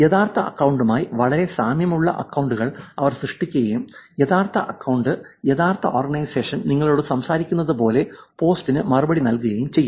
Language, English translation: Malayalam, And they will create accounts which are very similar to the real account and reply to the post as though the real account, real organization is actually talking to you